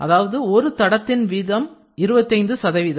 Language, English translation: Tamil, One track is typically 25 percent